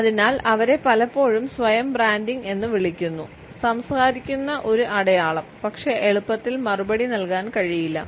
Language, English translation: Malayalam, And therefore, they are often termed as a self branding, a scar that speak and yet cannot be replied to easily